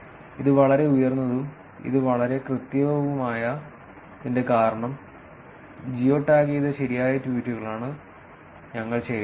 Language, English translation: Malayalam, And the reason why this is so high and this is so accurate is because, we are, tweets were collected which were actually geo tagged right